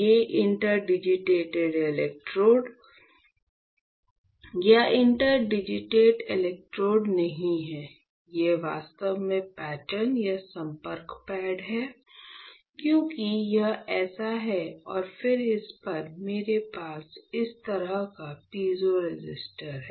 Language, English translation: Hindi, These are my let say interdigitated electrodes or you can, not interdigitated electrode, these are actually the patterns or contact pads; because it is like this right, it is like this and then on this, I have piezo resistor like this alright